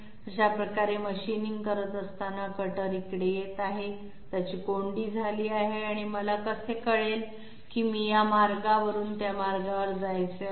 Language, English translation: Marathi, When it is machining this way, the cutter is coming here, it has a dilemma, and how do I know that I am supposed to move from this path to that path